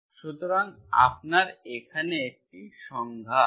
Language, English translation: Bengali, So you have a definition here